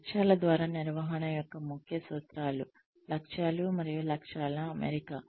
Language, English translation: Telugu, The key principles of management by objectives are, setting of objectives, goals, and targets